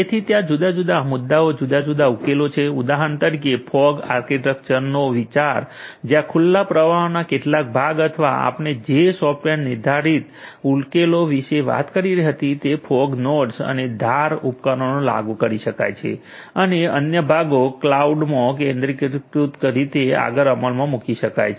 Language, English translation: Gujarati, So, there are different issues different solutions for example, consideration of fog architecture where some part of the of the open flow or the software defined solutions that you talked about can be implemented in the fog nodes, in the edge devices and so on and the other parts can be implemented in the centralized manner in the cloud and so on